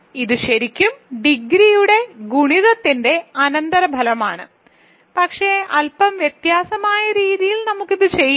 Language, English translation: Malayalam, This is also really a consequence of multiplicativity of degree, but in a slightly different way, so let us do this